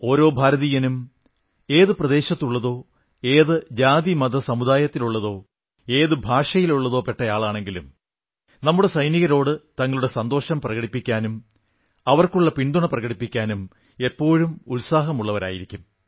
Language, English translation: Malayalam, Every Indian, irrespective of region, caste, religion, sect or language, is ever eager to express joy and show solidarity with our soldiers